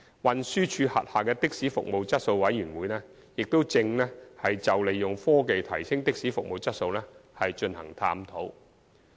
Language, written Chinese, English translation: Cantonese, 運輸署轄下的士服務質素委員會亦正就利用科技提升的士服務質素進行探討。, The Committee on Taxi Service Quality under TD is also conducting a review on using technology to enhance taxi service quality